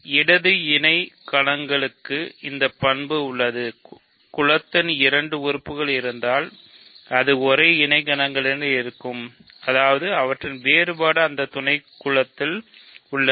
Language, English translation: Tamil, Left cosets have this property that if two elements of the group have this are in the same coset; that means, their difference is in that subgroup